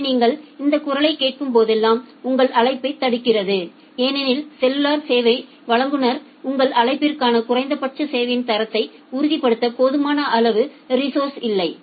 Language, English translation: Tamil, So, whenever you are hearing this voice that is actually blocking your call because the cellular service provider it does not have sufficient amount of resource to ensure the minimum quality of service for your call